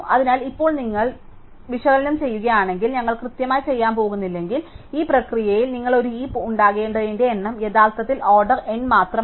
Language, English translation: Malayalam, So, now if you do the analysis should we are not going to do exactly, it turns out at in this process the number of updates you need to make a heap is actually only order N